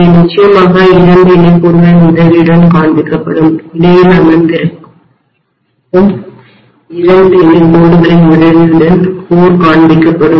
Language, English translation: Tamil, And they will be essentially shown with the help of two parallel lines the core will be shown with the help of two parallel lines sitting in between, right